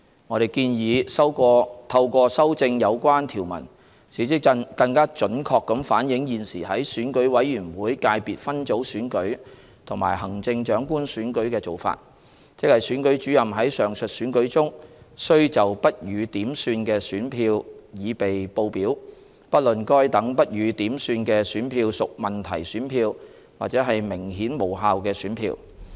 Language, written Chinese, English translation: Cantonese, 我們建議透過修正有關條文，使之更準確地反映現時在選舉委員會界別分組選舉和行政長官選舉的做法，即選舉主任在上述選舉中須就不予點算的選票擬備報表，不論該等不予點算的選票屬問題選票或是明顯無效的選票。, We propose that amendments be made to the relevant clauses to better reflect the existing arrangement of the Election Committee Subsector Elections and the Chief Executive Election where the Returning Officer of the respective election is to prepare a statement of ballot papers that are not counted irrespective of whether the ballot papers concerned are questionable ballot papers or clearly invalid ones